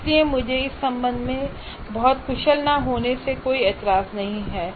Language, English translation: Hindi, So I don't mind being not that very efficient with respect to this